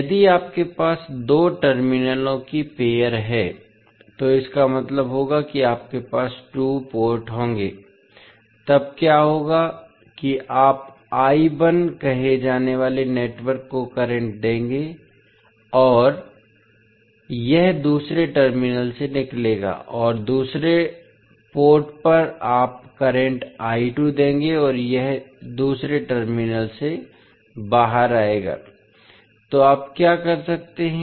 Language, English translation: Hindi, If you have pair of two terminals means you will have two ports, then what will happen that you will give current to the network say I1 and it will come out from the other terminal and at the other port you will give current I2 and it will come out from the other terminal, so what you can do you